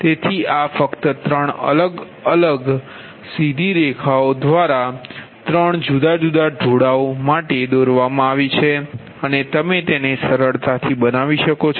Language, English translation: Gujarati, three different straight lines have been drawn with three different slopes, right, and that you can easily make it